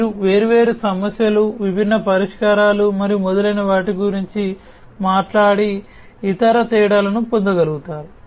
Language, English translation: Telugu, You will be able to get the different other differences talking about different issues, different solutions and so on